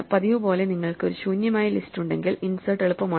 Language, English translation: Malayalam, As usual, if you have an empty list insert is easy